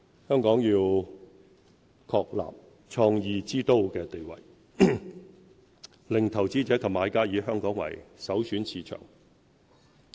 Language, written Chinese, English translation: Cantonese, 香港要確立創意之都地位，令投資者及買家以香港為首選市場。, Hong Kong should entrench its position as a creative hub and as a prime market for investors and buyers